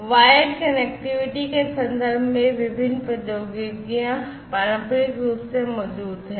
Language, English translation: Hindi, So, in terms of wired connectivity; these different technologies are there traditionally